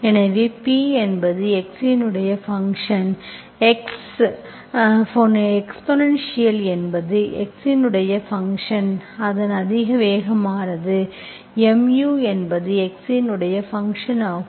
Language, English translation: Tamil, So P is function of x, integral is also function of x, exponential of that, so it is mu is a function of x